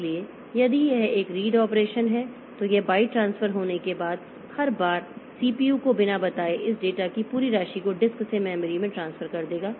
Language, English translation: Hindi, So, if it is a read operation it will transfer the entire amount of this of data from disk to memory without telling the CPU every time after a byte has been transferred